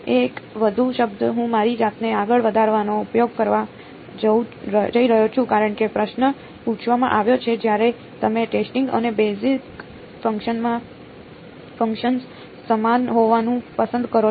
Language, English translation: Gujarati, One more term I am going to use getting ahead of myself because the question has been asked, when you choose the testing and the basis functions to be the same